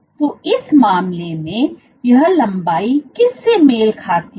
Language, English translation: Hindi, So, in that case what this length corresponds to